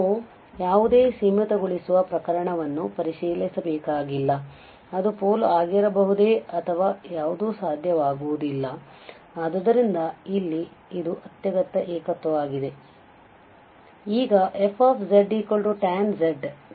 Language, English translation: Kannada, We do not have to check with any the limiting case whether it can be a pole or anything that is not possible, so here it is a essential singularity therefore